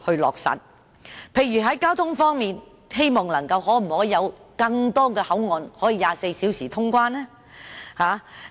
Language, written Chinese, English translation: Cantonese, 例如在交通方面，當局可否增設更多24小時通關口岸呢？, In the case of transportation for example can the authorities set up more 24 - hour boundary crossings?